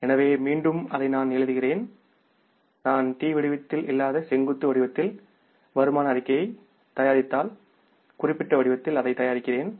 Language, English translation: Tamil, So, again I write it, I am preparing it in the vertical format as we prepare the income statement in the vertical format, not in the T format